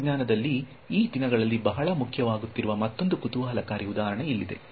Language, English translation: Kannada, Then here is another interesting example which in technology these days is becoming very important